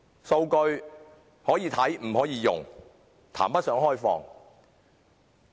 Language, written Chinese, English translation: Cantonese, 數據可看不可用，談不上開放。, Mere data availability without the right to use is not open data